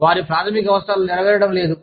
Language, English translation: Telugu, Their basic needs, are not being fulfilled